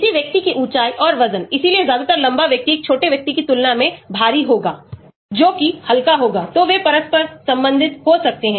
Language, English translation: Hindi, person's height and weight, so mostly a tall person will be heavier than a short person who will be lighter, so they may be interrelated